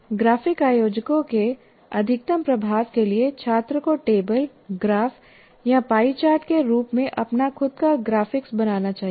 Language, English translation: Hindi, And for maximum effect of the graphic organizers, students should generate their own graphics in the form of tables, graphs, pie charts, any number of them that you have